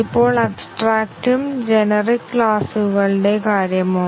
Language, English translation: Malayalam, Now, what about abstract and generic classes